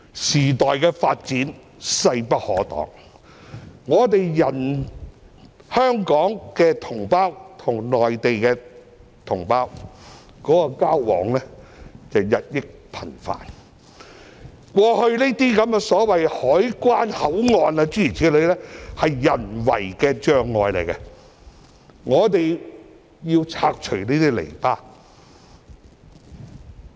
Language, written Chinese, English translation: Cantonese, 時代的發展勢不可擋，香港與內地同胞的交往日益頻繁，過去這些所謂的關口、口岸其實只是人為障礙，我們需要拆除這些籬笆。, The development of the times is unstoppable . With increased communication between Hong Kong people and their Mainland counterparts the so - called control point in the past is just a man - made obstacle that we need to remove